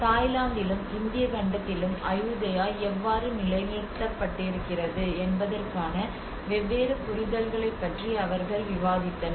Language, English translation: Tamil, Where they discussed about different understandings of the how Ayutthaya has been positioned both in Thailand and as well as in the Indian continent